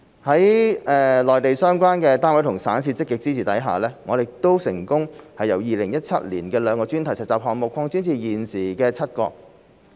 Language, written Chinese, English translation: Cantonese, 在內地相關單位和省市的積極支持下，我們成功由2017年的兩個專題實習項目擴展至現時的7個。, With the proactive support of the concerned units municipalities and provinces on the Mainland the number of thematic internship projects has increased from two in 2017 to seven nowadays